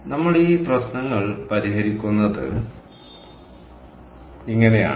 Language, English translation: Malayalam, ok, so this is how we solve these problems